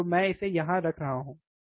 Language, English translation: Hindi, So, I am placing it here, right